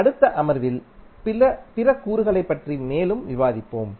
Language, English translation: Tamil, In next session, we will discuss more about the other elements